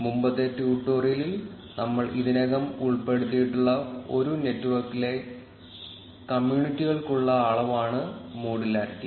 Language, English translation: Malayalam, Modularity is the measure for communities in a network which we have already covered in the previous tutorial